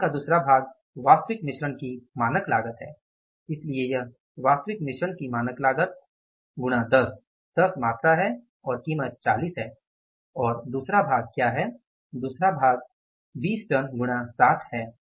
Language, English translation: Hindi, So, it will be standard cost of actual mix into 10 into 10 is the quantity and the price is 40 and plus second part is what